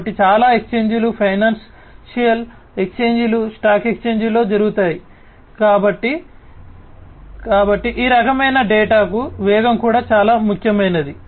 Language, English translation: Telugu, So, many exchanges, you know so many you know financial exchanges are carried on in the stock exchanges, so you know the speed is also very important of this kind of data